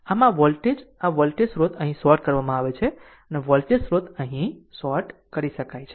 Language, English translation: Gujarati, So, this voltage this voltage source is shorted here, voltage source is shorted here right here